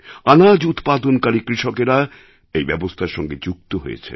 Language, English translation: Bengali, Farmers producing grains have also become associated with this trust